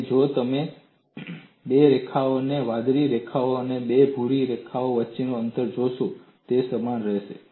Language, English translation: Gujarati, And if you look at the distance between two lines two blue lines and two brown lines, they would remain same